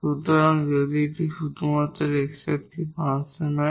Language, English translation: Bengali, So, if this one is a function of x only